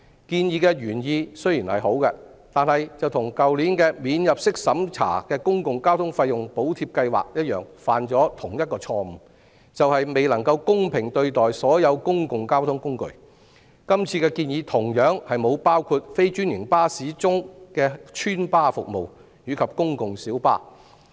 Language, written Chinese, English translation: Cantonese, 建議原意雖好，但與去年的"免入息審查的公共交通費用補貼計劃"犯下同一錯誤，便是未能公平對待所有公共交通工具，今次的建議同樣沒有包括非專營巴士中的"邨巴"服務及公共小巴。, Notwithstanding its good intention this proposal repeats the same mistake as the non - means - tested Public Transport Fare Subsidy Scheme introduced last year of not treating all the public means of transport in a fair manner . Similarly this proposal does not include residents bus services and public light buses PLBs among non - franchised buses . In fact residents buses and PLBs no matter green or red PLBs also serve the public filling the gap in services of franchised buses